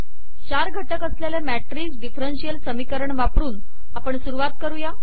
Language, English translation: Marathi, Let us begin with a matrix differential equation consisting of four components